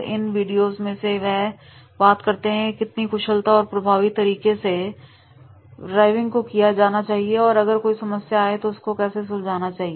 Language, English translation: Hindi, And in these videos they talk about that is how efficiently and effective the driving is to be done and if there any problems are rising then how to handle those particular problems